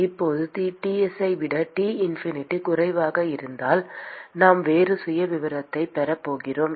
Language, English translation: Tamil, Now supposing if T infinity is less than Ts, we are going to have a different profile